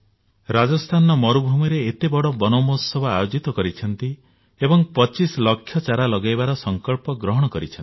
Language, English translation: Odia, Rajasthan, desert area, has celebrated Van Mahotsav in a very big way and pledged to plant 25 lakhs trees